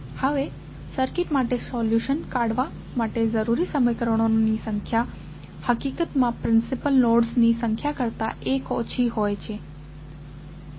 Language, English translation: Gujarati, Now, the number of equations necessary to produce a solution for a circuit is in fact always 1 less than the number of principal nodes